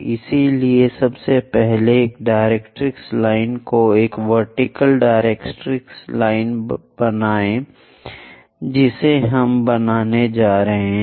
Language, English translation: Hindi, So, first of all draw a directrix line a vertical directrix line we are going to construct